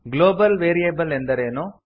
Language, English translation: Kannada, What is a Global variable